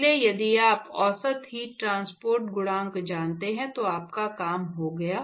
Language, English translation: Hindi, So, if you knew average heat transport coefficient you are done